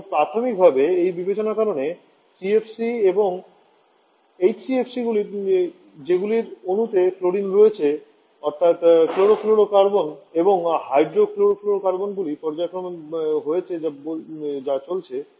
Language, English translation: Bengali, And primary because of this consideration only the CFC and HCFC which has chlorine in their molecule that is chlorofluorocarbon and hydrochlorofluorocarbons has been or are being phased out